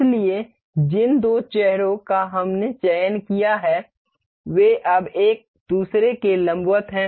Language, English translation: Hindi, So, the two faces that we selected are now perpendicular to each other